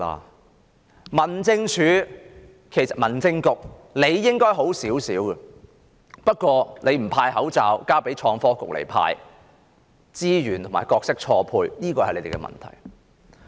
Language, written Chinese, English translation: Cantonese, 至於民政事務局，理應好一點，不過它不負責派發口罩，交由創新及科技局負責，資源和角色錯配，這是他們的問題。, As for the Home Affairs Bureau they could have done better . However they are not responsible for distributing the masks and have the Innovation and Technology Bureau do it for them instead . This is a resource and role mismatch and this is their problem